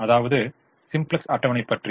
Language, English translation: Tamil, this is the simplex table